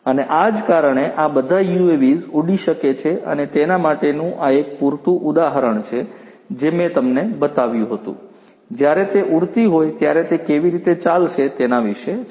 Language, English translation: Gujarati, And this is how these UAVs fly, this is you know an example of the UAV that I had shown you, how it is going to be when it is flying